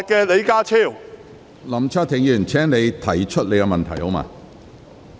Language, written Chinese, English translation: Cantonese, 林卓廷議員，請直接提出你的急切質詢。, Mr LAM Cheuk - ting please state your urgent question directly